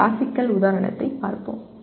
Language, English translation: Tamil, The classical example is let us look at this